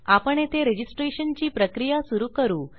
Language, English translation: Marathi, Here we are going to start our registration process